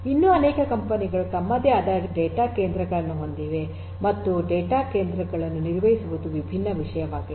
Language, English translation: Kannada, There are many other companies which also have their own data centres and maintaining the data centres is a different topic by itself right